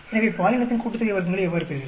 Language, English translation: Tamil, So, how do you get the gender sum of squares